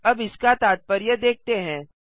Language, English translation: Hindi, Lets see what this means